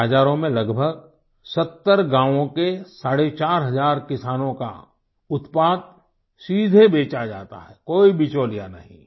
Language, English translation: Hindi, In these markets, the produce of about four and a half thousand farmers, of nearly 70 villages, is sold directly without any middleman